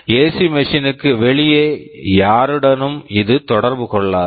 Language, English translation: Tamil, It does not interact with anybody outside that AC machine